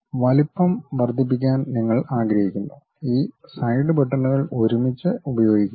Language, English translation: Malayalam, You want to increase the size use these side buttons together